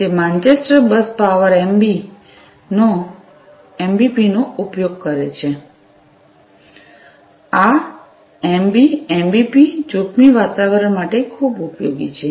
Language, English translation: Gujarati, It uses the Manchester bus power MBP, this MBP is very useful for hazardous environment